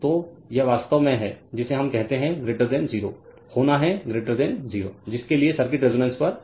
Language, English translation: Hindi, So, this is actually your what we call greater than 0 has to be greater than 0 for which circuit is at resonance right